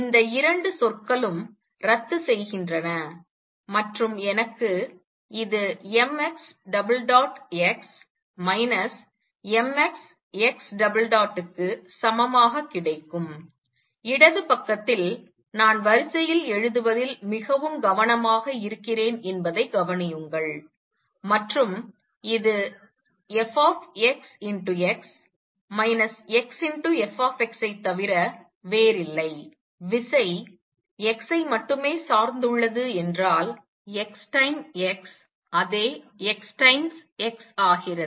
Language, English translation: Tamil, These 2 terms cancel and I get this equal to m x double dot x minus m x double dot x, on the left hand side notice that i am being very careful in writing the order and this is nothing but the force x times x minus x force x if force depends only on x, x time x is same as x times x